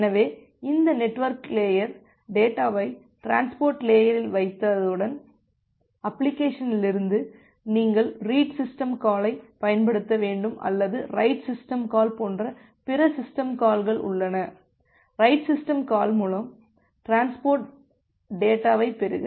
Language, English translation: Tamil, So so, once this network layer put the data at the transport layer, then the application, from the application, you have to use the read system call or there are other system calls like the write system, the write system call through which you will receive the data from the transport layer